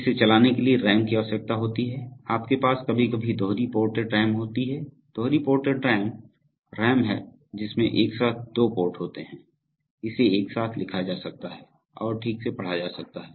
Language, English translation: Hindi, RAM is required for running it, you have sometimes, you have dual ported RAM, dual ported RAM is RAM in which simultaneously one, it has, it has two ports, so it can be simultaneously written into and read from okay